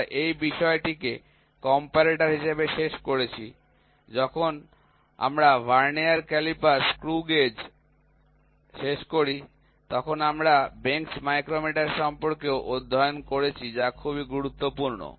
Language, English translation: Bengali, We covered this topic under the comparator in comparator, when we finished vernier calliper screw gauge we also studied about the bench micrometer which is very important